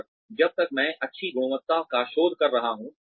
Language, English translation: Hindi, And, as long as, I am doing good quality research